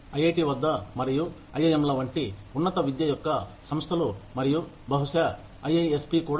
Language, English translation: Telugu, At IIT, and institutes of higher education like the IIMs, and possibly IISC also